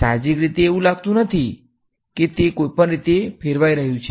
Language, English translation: Gujarati, Intuitively no does not seem like it is swirling anyway